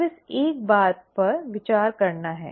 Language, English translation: Hindi, Now that is one thing to ponder